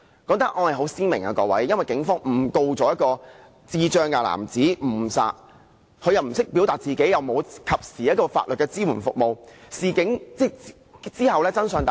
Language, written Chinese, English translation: Cantonese, 各位，這宗案件很鮮明，因為警方誤告一名智障男子誤殺，由於他不懂得表達自己，又沒有一個及時的法律支援服務，可幸及後真相大白。, Honourable Members this case was crystal clear as the police wrongfully laid a charge of manslaughter against a man with intellectual disabilities who was unable to express himself and failed to receive timely legal support